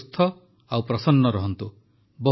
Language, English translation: Odia, May all of you be healthy and happy